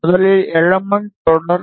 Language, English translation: Tamil, First element is series